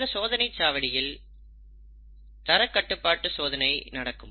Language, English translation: Tamil, Now in this checkpoint, there is a quality control which takes place